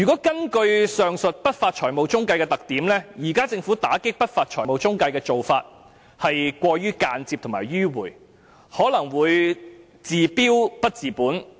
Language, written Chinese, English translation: Cantonese, 根據上述不法財務中介的特點，政府現時打擊不法財務中介的做法是過於間接和迂迴，可能會治標不治本。, In view of these features of unscrupulous financial intermediaries the Governments current approach in cracking down on unscrupulous financial intermediaries is way too indirect and circuitous probably treating the symptoms but not the root cause of the problem